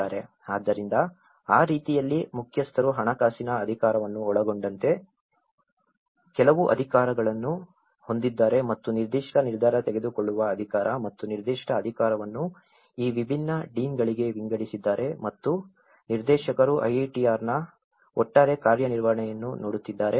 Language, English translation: Kannada, So in that way, head has certain powers including the financial power and as well as certain decision making authority and certain authority has been spitted into these different deans and the director is looking at the overall working of the IITR